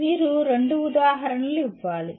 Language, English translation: Telugu, You are required to give two examples